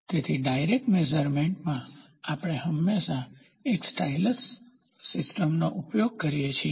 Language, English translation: Gujarati, So, in indirect measurement, we always use a stylus system